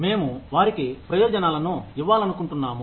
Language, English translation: Telugu, We want to give them benefits